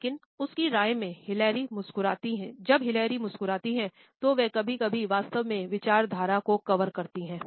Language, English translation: Hindi, But in her opinion, when Hillary smiles she sometimes covering up where she is really thinking